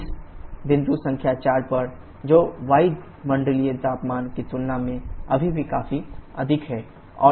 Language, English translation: Hindi, at this point number 4 that is still significantly higher compared to the atmospheric temperature